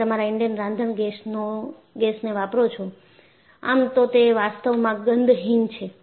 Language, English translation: Gujarati, See, if you look at your Indane cooking gas, it is actually odorless